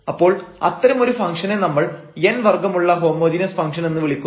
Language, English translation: Malayalam, So, we will call this such a function a function a homogeneous function of order n